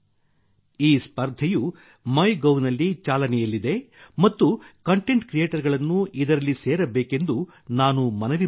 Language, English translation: Kannada, This contest is running on MyGov and I would urge content creators to join it